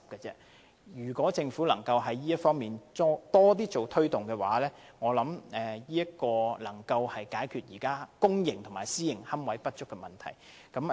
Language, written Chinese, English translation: Cantonese, 如果政府在這方面多加推動，我認為會有助解決現時公營和私營龕位不足的問題。, With more efforts made by the Government in this regard I am sure that it will help address the inadequate supply of niches in both the public and private sectors